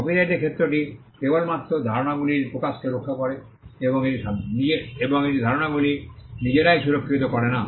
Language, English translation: Bengali, The scope of the copyright protects only expressions of idea and it does not protect the ideas themselves